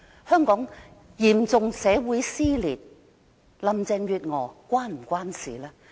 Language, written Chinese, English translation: Cantonese, 香港嚴重社會撕裂，這是否與林鄭月娥有關呢？, Is she responsible for the serious social cleavage in Hong Kong?